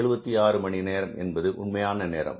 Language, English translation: Tamil, 376 hours, 376 hours and what is the actual time